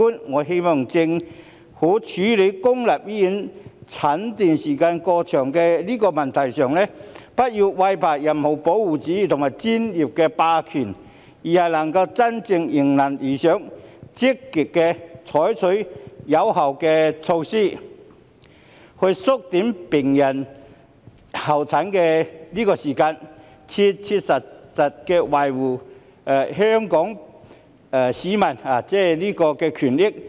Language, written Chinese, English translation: Cantonese, 我希望政府處理公立醫院候診時間過長的問題上，不要懼怕任何保護主義及專業霸權，而是能夠真正做到迎難而上，積極採取有效的措施，以縮短病人的候診時間，切切實實地維護香港市民的權益。, I hope the Government will not be afraid of protectionism and professional hegemony when dealing with the overly long waiting time for consultations at public hospitals but will rise to the challenges proactively adopt effective measures to shorten patients waiting time and make earnest efforts to safeguard the rights and interests of the people Hong Kong